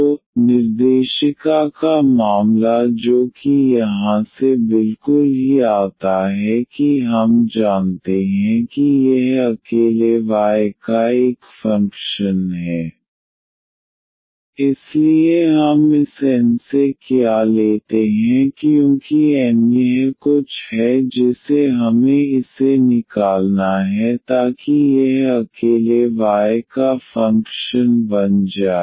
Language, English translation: Hindi, So, the directory case which comes exactly from here itself that we know that this is a function of y alone, so what we take from this N because N minus this something we have to remove it so that this becomes a function of y alone